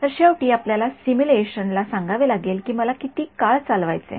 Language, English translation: Marathi, Then finally, you have to tell the simulation that how long do I wanted to run